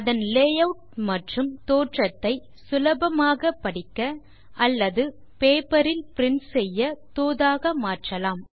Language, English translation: Tamil, We can customize its layout, look and feel, so that it is easy to read or print on paper